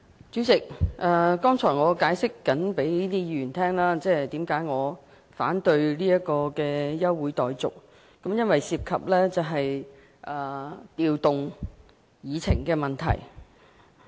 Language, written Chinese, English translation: Cantonese, 主席，剛才我正向各位議員解釋，我為何反對休會待續議案，因為當中涉及調動議程。, Chairman I was explaining to Members why I objected to the adjournment motion because it involves rearranging the order of agenda item